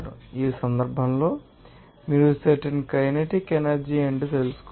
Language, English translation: Telugu, In this case you have to find out what should be the specific kinetic energy